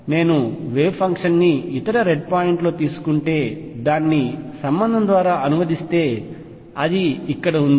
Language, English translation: Telugu, If I take the wave function on the other red point translate it by a the relationship is given, that is here